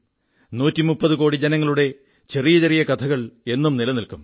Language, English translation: Malayalam, These minute stories encompassing a 130 crore countrymen will always stay alive